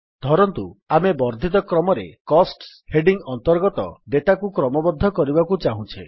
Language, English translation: Odia, Lets say, we want to sort the data under the heading Costs in the ascending order